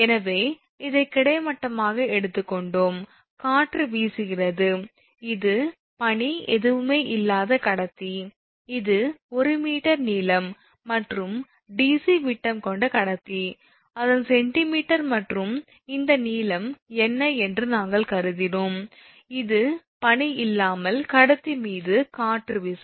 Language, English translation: Tamil, So, this is actually we have taken this horizontal it is blowing, this is the wind, this is the conductor without anything, I mean without ice and this is the length we have consider say 1 meter, and dc is that your diameter of the conductor right, its centimeter and this length we have considered what this is, wind force on conductor without ice, this is the wind force